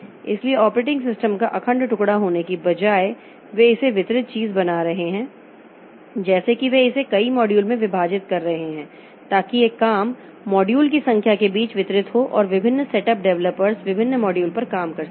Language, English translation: Hindi, So instead of having monolithic piece of operating system, so this later developments, though they are making it distributed thing like they are making it divided into a number of modules so the job is distributed among a number of modules and the different set of developers can work on different modules